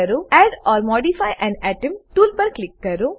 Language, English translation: Gujarati, Click on Add or modify an atom tool